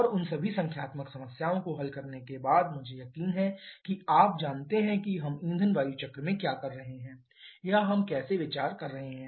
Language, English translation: Hindi, And after solving all those numerical problems I am sure you know what we are doing in fuel air cycle or how we are considering